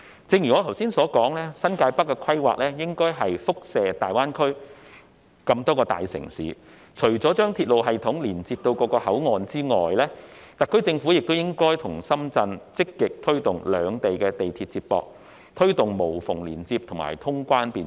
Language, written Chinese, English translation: Cantonese, 正如我剛才所說，新界北的規劃應該輻射至大灣區內各大城市，除了將鐵路系統連接至各個口岸外，特區政府應與深圳積極推動兩地地鐵接駁，以實現無縫連接和通關便捷。, As I have just said the planning for New Territories North should also take into account the major cities of GBA . Apart from linking the railway system with the various boundary control points the SAR Government and the Shenzhen authorities should actively promote the connection of the railways of the two places with a view to achieving seamless connection and facilitating cross - boundary clearance